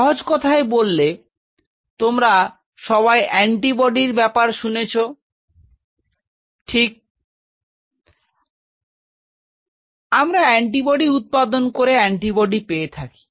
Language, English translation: Bengali, Say very simple all of you heard about antibodies right, we get antibodies production of antibody